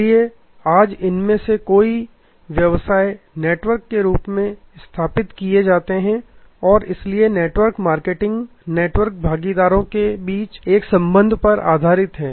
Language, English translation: Hindi, So, today many of these businesses are performed as networks and therefore, network marketing is based on a relationship among the network partners